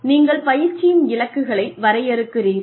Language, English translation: Tamil, You define, the training objectives